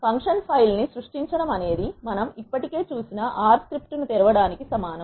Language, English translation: Telugu, Creating a function file is similar to opening an R script which we have already seen